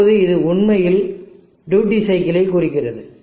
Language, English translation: Tamil, Now this is actually representing the duty cycle